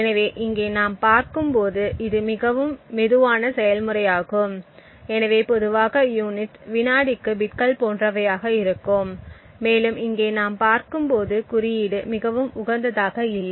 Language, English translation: Tamil, So, over here as we see it is an extremely slow process, so typically the units would be something like bits per second and as we see over here the code is not very optimised